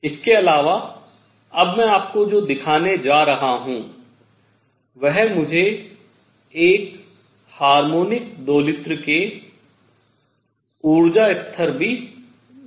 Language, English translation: Hindi, In addition, now I am going to show you that will give me the energy levels of a harmonic oscillator also